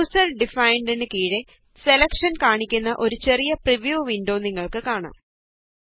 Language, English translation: Malayalam, Under User defined, you can see a small preview window which displays the selection